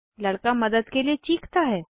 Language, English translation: Hindi, The boy screams for help